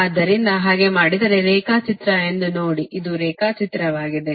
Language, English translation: Kannada, so if you do so, look at this is the diagram, this is the diagram